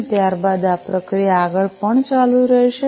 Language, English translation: Gujarati, And then you know the process is going to continue further